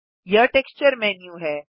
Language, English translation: Hindi, This is the Texture menu